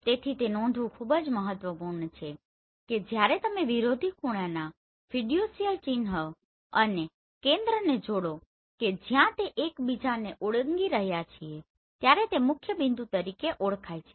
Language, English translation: Gujarati, So it is very important to note that when you are joining the opposite corner fiducial mark and the center where they are crossing each other that point is known as principal points